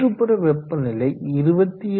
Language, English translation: Tamil, The ambient is around 27